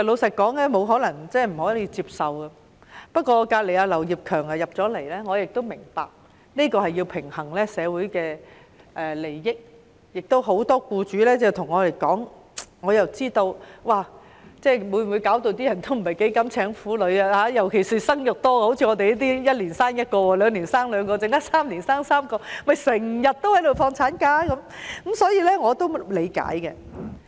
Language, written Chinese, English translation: Cantonese, 不過——坐在我鄰近的劉業強議員剛進來會議廳——我明白要平衡社會利益，有很多僱主有意見，這項修改可能令他們不想聘請婦女工作，尤其是像我這類生育多的婦女，一年生1個孩子，兩年生兩個孩子 ，3 年生3個孩子，就會長年放產假，所以我是理解的。, However Kenneth LAU who sits near me just came into the Chamber I also understand that a balance must be struck among stakeholders in society . Many employers have a view about the amendment and they may not want to employ females because of the amendment especially those who bear more children like me . If they bear a child every year for two and even three years they will always be taking ML